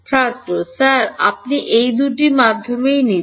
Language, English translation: Bengali, Sir, you are taking both of these medium